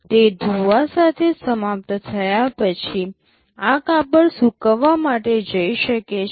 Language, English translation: Gujarati, After it is finished with washing, this cloth can go for drying